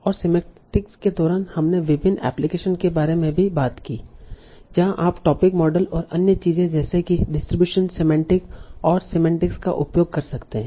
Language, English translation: Hindi, And during semantics we also talked about various applications where you can use topic models and other things like distribution semantics and Excel semantics